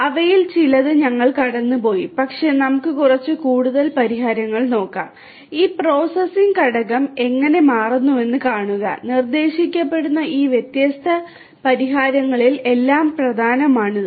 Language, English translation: Malayalam, We have gone through quite a few of them, but let us look at a few more solutions and see how this processing component is becoming important in all of these different solutions that are being proposed